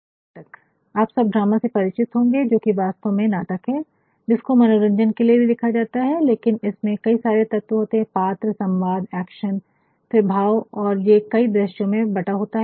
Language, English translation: Hindi, And, then a drama all of you are familiar with drama, which is actuallyah a play and which is also written to entertain, but then there areseveral components involved into it character dialogknow,action,then emotion and then there are scenes also divided